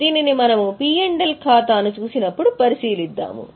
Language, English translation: Telugu, We will consider it when we look at P&L account